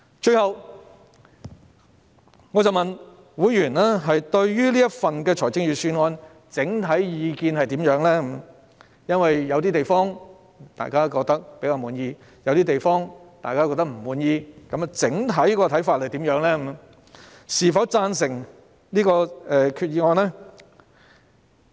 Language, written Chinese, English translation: Cantonese, 最後，我詢問會員對這份預算案的整體意見為何，因為有些地方大家較為滿意，但亦有些地方大家都感到不滿意，於是我問他們的整體意見，是否贊成這項決議案？, Lastly I asked members overall view on the Budget . Since there were some parts which people considered more satisfactory but also some which they found dissatisfactory I asked whether they agreed to this Budget as a whole